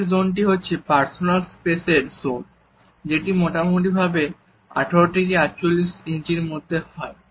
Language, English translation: Bengali, Next zone is of our personal space, which is somewhere from 18 to 48 inches